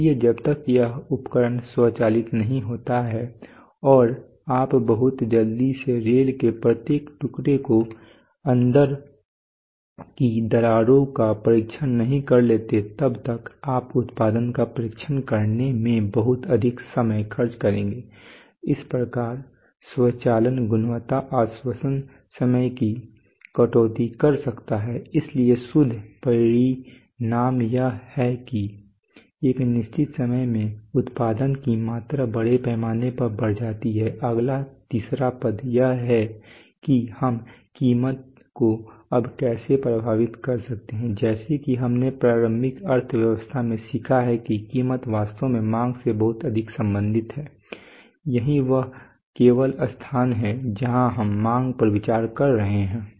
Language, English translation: Hindi, So unless this equipment is automated and you can very quickly test each and every piece of rail for cracks inside, you are going to consumer enormous amount of time to be able to test your production, so that is how automation can cut down on quality assurance time, so the net result is that production volume in a given time goes up massively, next the third item is, the third item is how we can affect the price now the price as we have learnt in in elementary economics that price is actually very much related to demand this is the only place where we are considering demand